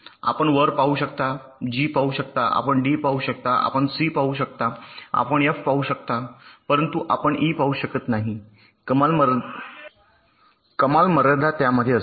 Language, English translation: Marathi, you can see g, you can see d, you can see c, you can see f, but you cannot see e